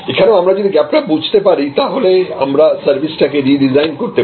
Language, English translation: Bengali, Again, if we find this gap, we can redesign our services